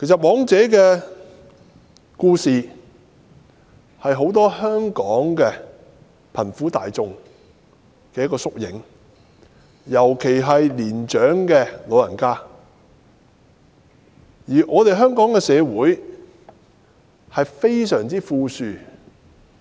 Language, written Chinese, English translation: Cantonese, "黃姐"的故事其實是香港許多貧苦大眾，尤其是貧苦長者的縮影，但香港的社會卻非常富庶。, The story of Madam WONG is actually a typical example of the life of many underprivileged people especially the impoverished elderly people in Hong Kong . Most ironically however the Hong Kong community is very rich